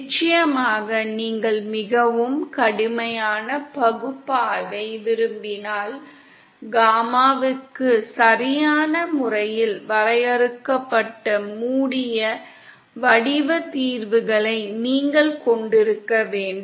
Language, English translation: Tamil, Of course if you want a very rigorous analysis then you have to have proper well defined closed form solutions for gamma in